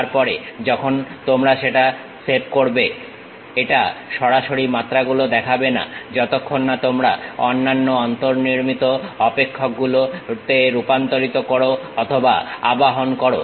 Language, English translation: Bengali, Thereafter, when you save that, it would not directly show the dimensions unless you convert or invoke other built in functions